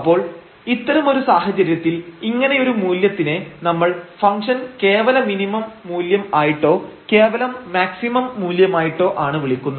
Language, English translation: Malayalam, So, in that case if such a value we will call that we will call that this is the absolute minimum value of the function or the absolute maximum value of the function